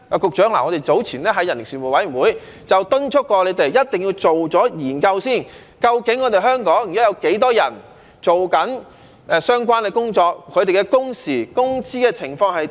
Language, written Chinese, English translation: Cantonese, 局長，我們早前在人力事務委員會便敦促過你們一定要先做研究，了解究竟香港現時有多少人正在做相關的工作，他們的工時、工資的情況是如何。, Secretary at an earlier meeting of the Panel on Manpower we already urged that you people must first conduct a study to ascertain the number of people now engaged in the relevant job types in Hong Kong their working hours and also their wages